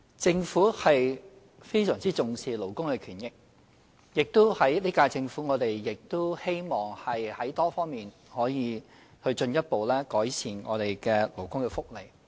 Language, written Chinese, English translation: Cantonese, 政府非常重視勞工權益，這屆政府亦希望在多方面進一步改善勞工福利。, The Government attaches great importance to labour rights and interests and the current - term Government also hopes to further improve workers welfare in various aspects